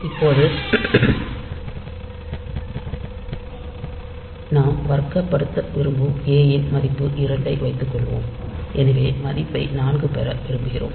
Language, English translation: Tamil, Now, suppose the value that we want to square suppose a is equal to say 2, so we want to get the value 4